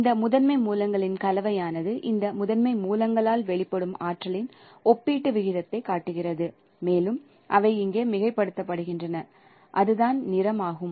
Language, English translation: Tamil, It shows the relative proportion of the amount of energy emitted by this primary sources and they are superimposed here and that is the color